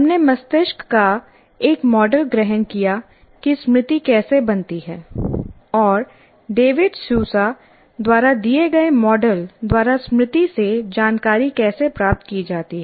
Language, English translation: Hindi, In this, we assumed a model of the brain with respect to how the memory is formed and how the information from memory is retrieved by a model given by David Sosa